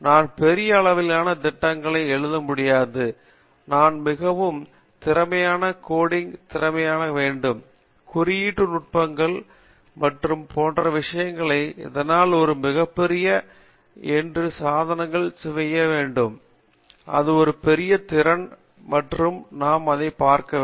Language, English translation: Tamil, I cannot write large scale programs, I need to have very effective coding efficient, coding techniques and stuff like that so writing those types of small programs on the devices that’s also a very big today, that’s a big skill and that we need look into it, so that is from the application side